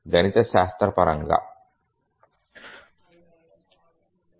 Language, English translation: Telugu, Now, let's do it mathematically